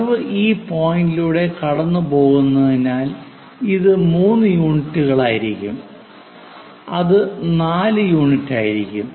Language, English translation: Malayalam, Because curve is passing through this point this will be three units that will be 4 units, so 3 by 4 units we are going to get